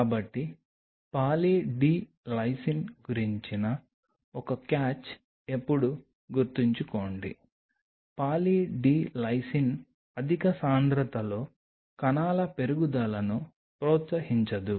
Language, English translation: Telugu, So, always remember one catch about Poly D Lysine is that Poly D Lysine at a higher concentration does not promote cell growth